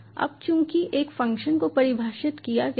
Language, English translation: Hindi, so my function has been defined now, outside this function